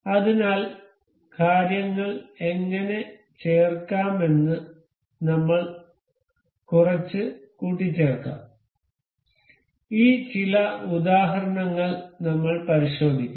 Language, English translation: Malayalam, So, let us assemble a little how to insert things we will check these some examples